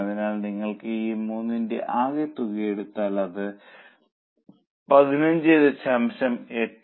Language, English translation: Malayalam, So, if you take total of these 3 it becomes 15